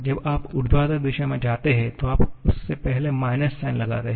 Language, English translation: Hindi, When you go in the vertical direction, you put a minus sign before that